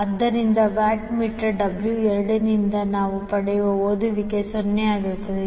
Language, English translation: Kannada, So therefore the reading which we get from watt meter W 2 will be 0